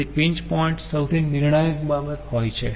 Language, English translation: Gujarati, so pinch point is the most crucial point